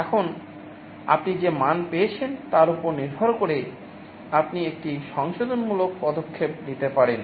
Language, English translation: Bengali, Now depending on the value you have sensed, you can take a corrective action